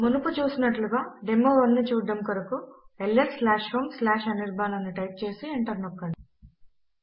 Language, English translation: Telugu, As before to see the demo1 type ls/home/anirban and press enter